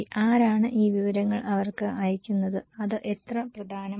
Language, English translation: Malayalam, Who is sending these informations to them and how important it is